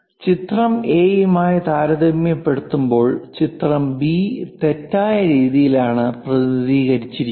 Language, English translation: Malayalam, Picture B is wrong way of representation when compared to picture A why